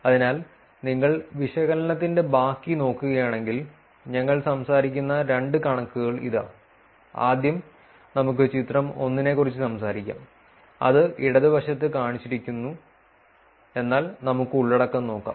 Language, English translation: Malayalam, So, if you look at the rest of the analysis, so here is the two figures that we will also talk about; first let us talk about the figure 1, which is shown on the left, but let us look at the content